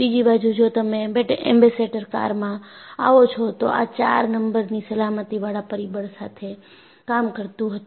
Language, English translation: Gujarati, On the other hand, if you come to our Ambassador cars, this was operating with the factor of safety of 4